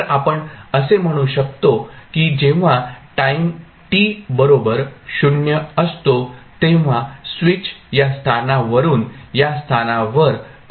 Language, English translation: Marathi, So, we can say that when time t is equal to 0 the switch is thrown from this position to this position